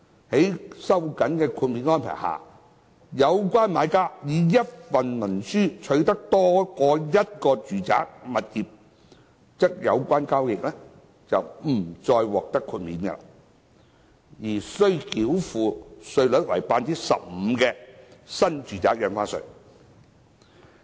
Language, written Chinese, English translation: Cantonese, 在經收緊的豁免安排下，若有關買家以一份文書取得多於一個住宅物業，則有關交易將不再獲得豁免，而須繳付稅率為 15% 的新住宅印花稅。, Under the tightened exemption arrangement if the buyer concerned acquires more than one residential property under a single instrument the transaction will no longer be exempted and will be subject to the NRSD rate of 15 %